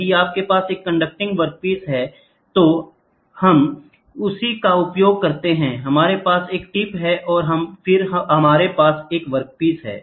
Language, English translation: Hindi, If you have a conducting work piece so, then what we do is, we use the same, we have a tip and then we have a work piece which goes